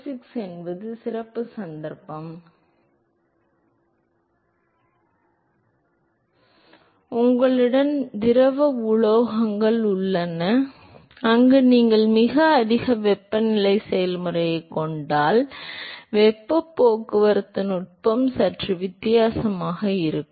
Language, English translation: Tamil, 6 is the special case where, if you have a liquid metals where you have a very high temperature process, then the heat transport mechanism is slightly different